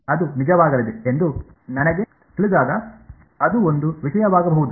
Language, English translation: Kannada, When I know it is going to be real, that could be one thing